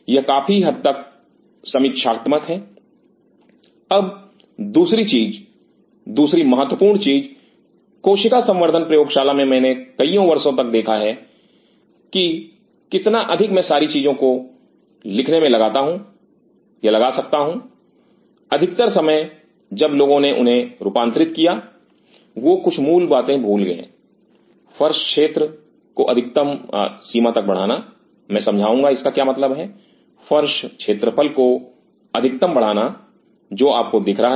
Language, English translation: Hindi, This is fairly critical, now second thing second important thing in cell culture lab I have seen over the years how much over I can put all the things writing most of the time when people designed them they forget some of the basic things, maximize floor area I will explain what does that main maximize floor area into visible to you